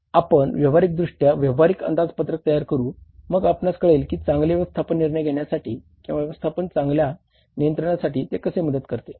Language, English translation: Marathi, We will practically prepare the practical budget then you will come to know that how it facilitates better management decision making or the better management control